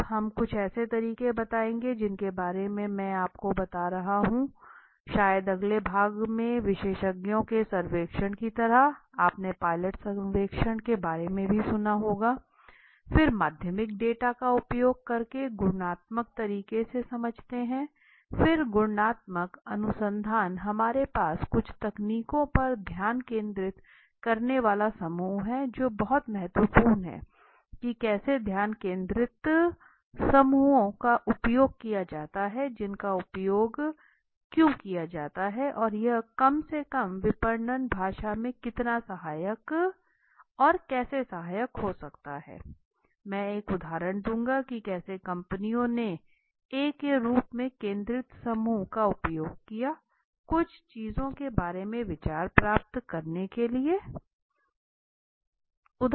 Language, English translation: Hindi, Now some of the methods what we will be conducting while which I will be you know telling you in the may be next section is like survey of experts must also have heard about the pilot surveys think under right then using secondary data understanding qualitative manner right then qualitative research we have some techniques focus group which is very important how focus groups are used why they are used and how it can be so helpful in the marketing parlance at least we can see that I will give an example how companies have used focused group for a as a technique to get ideas about certain things which they had to know clue at all for example right